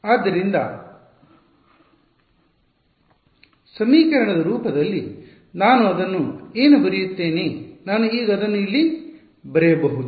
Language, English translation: Kannada, So, in the equation form what will I write it as, I will maybe I can write it over here now